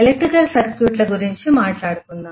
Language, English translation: Telugu, Let’s talk about electrical circuits